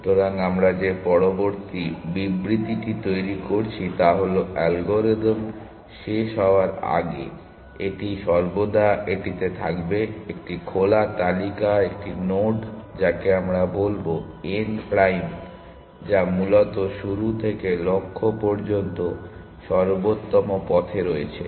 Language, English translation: Bengali, So, the next statement that we are making is in that before the algorithm terminates, it will always have in it is open list one node, which we will call n prime which is on the optimal path from start to goal essentially